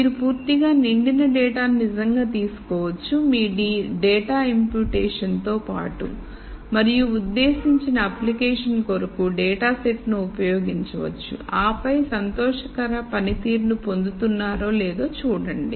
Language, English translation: Telugu, So, maybe you could actually take the completely filled in data with your data imputation and use the data set for whatever the intended application is and then look at whether you are getting a performance that you are happy with